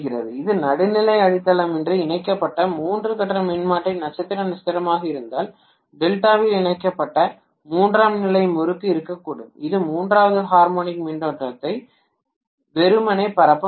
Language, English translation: Tamil, If it is a three phase transformer star star connected without neutral grounding there can be a tertiary winding connected in delta which can simply circulate the third harmonic current